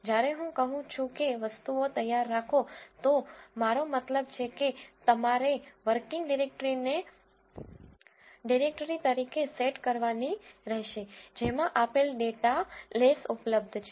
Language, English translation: Gujarati, When I say get things ready I mean you have to set the working directory as the directory in which the given data les are available